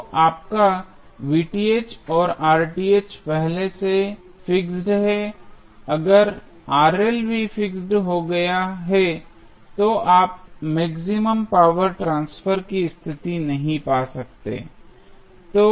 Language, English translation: Hindi, So, your Vth and Rth is already fixed, if Rl is also fixed, you cannot find the maximum power transfer condition